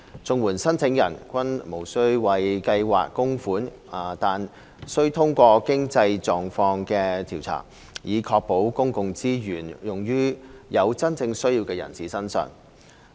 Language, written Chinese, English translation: Cantonese, 綜援申請人均無須為計劃供款，但須通過經濟狀況調查，以確保公共資源用於真正有需要的人士身上。, While non - contributory in nature the CSSA Scheme requires applicants to pass certain financial tests as a way of ensuring that public resources are targeted at those genuinely in need